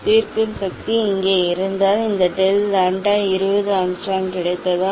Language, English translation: Tamil, if resolving power is here, if you get this del lambda 20 Angstrom